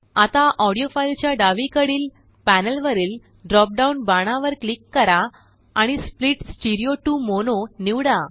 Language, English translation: Marathi, Now click on the drop down arrow on the panel to the left of the audio file and select Split stereo to mono